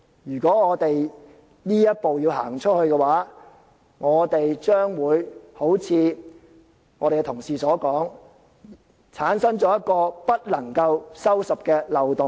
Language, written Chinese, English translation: Cantonese, 如果我們要走這一步的話，將會好像同事所說，會產生一個不能夠收拾的漏洞。, If we take such a step like what our colleagues have said an irreparable loophole will be created